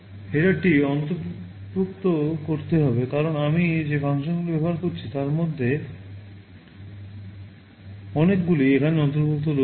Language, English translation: Bengali, h header because many of the functions I am using are all included there